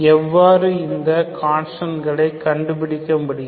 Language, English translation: Tamil, How to find these constants